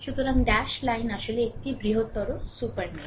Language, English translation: Bengali, So, dash line is a actually larger super mesh